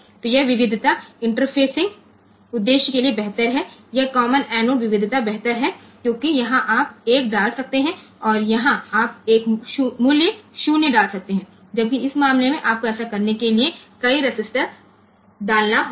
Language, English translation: Hindi, So, this variety is the better for interfacing purpose this common anode variety is better because here, you can put a 1 and here you can put a put the value 0 whereas, in this case you have to put